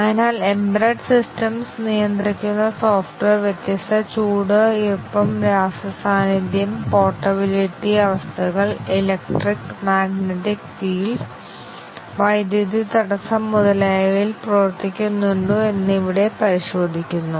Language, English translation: Malayalam, So, here it is checked whether the software which is may be controlling an embedded device, does it work on the different heat, humidity, chemical presence, portability conditions, electric, magnetic fields, disruption of power, etcetera